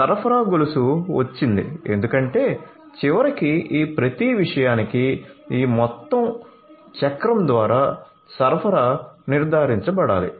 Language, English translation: Telugu, So, supply chain comes because ultimately you know for each of these things the supply will have to be ensured through this entire cycle right